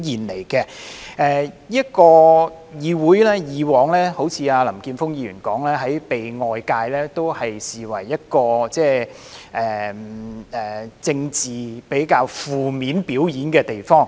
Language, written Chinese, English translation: Cantonese, 正如林健鋒議員所說，議會以往被外界視為一個在政治上進行較為負面的表演的地方。, As Mr Jeffrey LAM has put it the legislature has been regarded by society as a place for negative political shows in the past